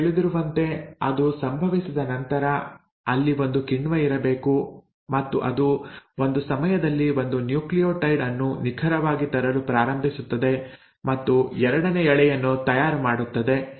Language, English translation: Kannada, Now once that has happened the there has to be a enzyme which will then come and, you know, meticulously will start bringing in 1 nucleotide at a time and make a second strand